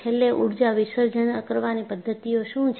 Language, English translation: Gujarati, And, finally what are the energy dissipating mechanisms